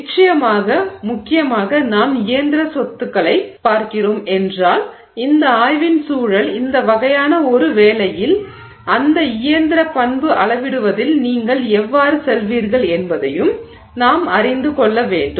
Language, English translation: Tamil, And of course importantly if you are looking at mechanical property in the context of this study this kind of work we also need to know how would you go about measuring that mechanical property